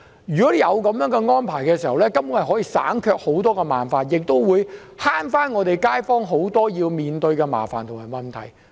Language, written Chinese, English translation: Cantonese, 如果有這樣的安排，根本上可以省卻很多麻煩，亦可免卻很多街坊須面對的麻煩及問題。, Had such a step been taken a lot of trouble would have been saved indeed and many members of the public would have been spared the trouble and problems they had to face